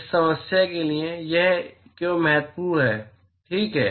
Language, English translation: Hindi, Why is it important for this problem ok